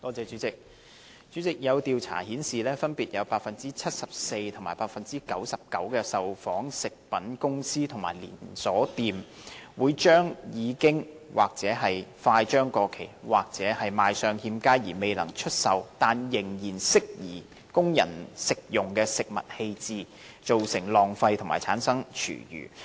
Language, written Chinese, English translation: Cantonese, 主席，有調查顯示，分別有百分之七十四及百分之九十九的受訪食品公司和連鎖式便利店，把已經或快將過期或賣相欠佳因而未能出售，但仍適宜供人食用的食物丟棄，造成浪費和產生廚餘。, President a survey has revealed that 74 % and 99 % respectively of the food product companies and chain convenience stores surveyed discarded foods that could not be sold because they had expired would soon expire or had unappealing appearance but were still suitable for human consumption causing wastage and giving rise to food waste